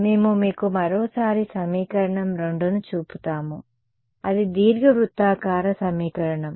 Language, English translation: Telugu, We can show you that equation once again equation 2 over here that was a equation of a ellipsoid